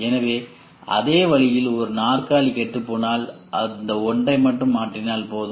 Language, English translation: Tamil, So, in the same way if one feature or if one chair gets spoiled you just replace one and not the rest